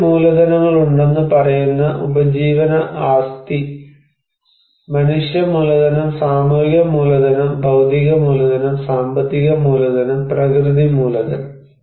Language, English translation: Malayalam, Livelihood assets we say that there are 5 capitals; human capital, social capital, physical capital, financial capital, and natural capital